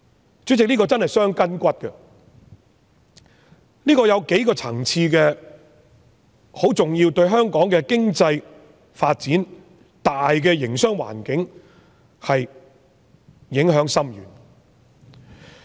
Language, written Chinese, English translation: Cantonese, 主席，這項建議真是會傷筋骨的，當中有數個層次十分重要，對香港的經濟發展、大營商環境影響深遠。, President this proposal will cause grievous harm to us at several important levels and it will have a serious and far - reaching impact on the economic development and general business environment of Hong Kong